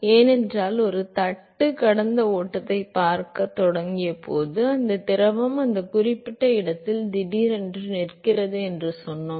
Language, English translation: Tamil, Because when we started looking at flow past a plate we said that the fluid suddenly comes to rest at that particular location